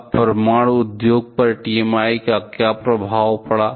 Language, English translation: Hindi, Now, what was the effect of TMI on nuclear industry